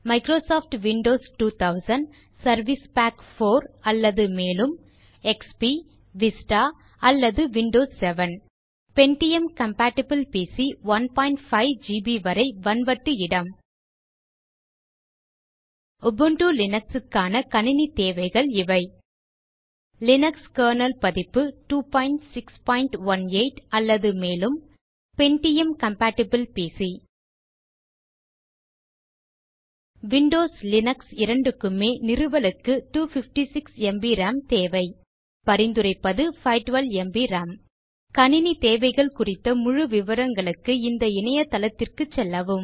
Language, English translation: Tamil, Following are the System requirements for Microsoft Windows Microsoft Windows 2000 , XP, Vista, or Windows 7Pentium compatible PC Up to 1.5 Gb available hard disk space For Ubuntu Linux, here are the System requirements Linux kernel version 2.6.18 or higherPentium compatible PC For both Windows and Linux installation we require 256 Mb RAM For complete system requirements, visit the libreoffice website